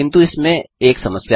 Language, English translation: Hindi, But there is one problem